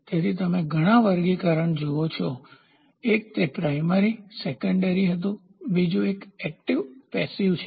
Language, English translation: Gujarati, So, you see several classifications; one it was primary secondary, the other one is active and passive